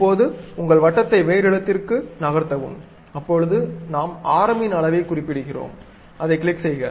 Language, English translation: Tamil, Now, move your circle to some other location, that means, we are specifying radius, click that